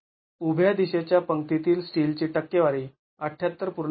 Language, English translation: Marathi, Now percentage of steel in the vertical direction row is 78